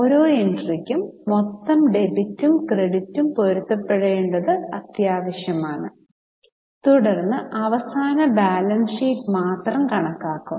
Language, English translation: Malayalam, It is necessary that total of debit and credit should match for every entry, then only the final balance sheet will be tallied